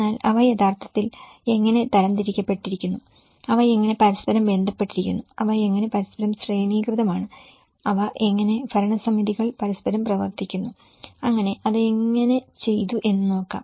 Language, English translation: Malayalam, But how they are actually classified and how they are linked with each other, how they are hierarchical to each other and how they are governing bodies work within each other so, let’s see how it has been done